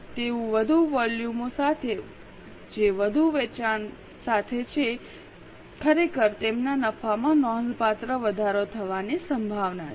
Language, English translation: Gujarati, So, with more volumes, that is with more sales, actually their profits are likely to increase substantially